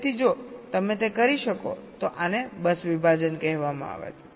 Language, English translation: Gujarati, so, if you can do that, this is called bus segmentation